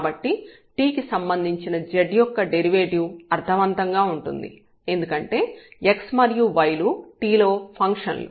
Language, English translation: Telugu, So, the ordinary derivative of z with respect to t which makes sense now because x and y are functions of t